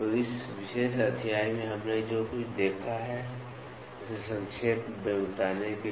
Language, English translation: Hindi, So, to recap what all we have seen in this particular chapter